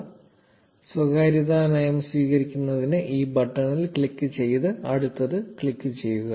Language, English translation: Malayalam, Click on this button to accept the privacy policy and click next